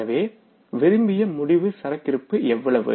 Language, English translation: Tamil, So what is the desired ending inventory